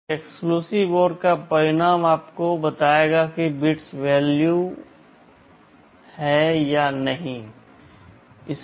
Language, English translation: Hindi, So, the result of an exclusive OR will tell you whether the bits are equal or not equal